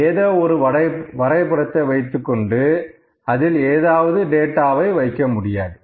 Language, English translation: Tamil, We just cannot pick anything and put any data over there